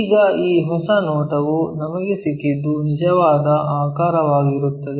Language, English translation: Kannada, Now, this new view whatever we got that becomes the true shape